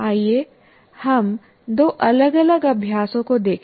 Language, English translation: Hindi, Let us look at two different practices